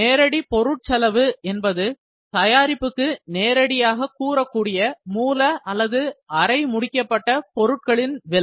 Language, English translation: Tamil, Direct material cost is the cost of raw or semi finished material that can be directly attributed to the product